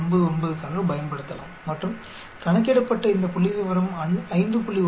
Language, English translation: Tamil, 99 and you can say this statistics calculated is larger than 5